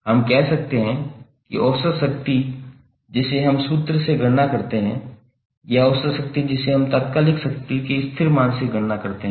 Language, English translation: Hindi, So we can say that the average power which we calculate from the formula or average power we calculate from the instantaneous power constant term of instantaneous power both are same